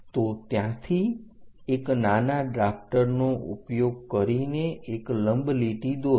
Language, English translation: Gujarati, So, there using your mini drafter draw a perpendicular line this is the one